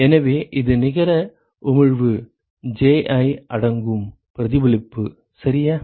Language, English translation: Tamil, So, this is the net emission Ji include reflection right